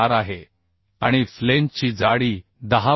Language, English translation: Marathi, 4 and thickness of the flange is 10